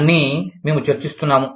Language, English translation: Telugu, All that, we were discussing